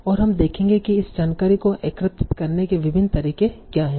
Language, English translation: Hindi, And so we will see what are the various ways in which you can gather this information